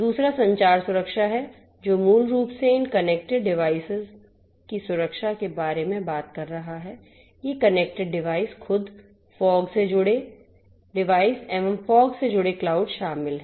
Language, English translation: Hindi, The second is the communication security which is basically talking about you know security of these connected devices, these connected devices themselves, connected devices to the fog, connected fog to cloud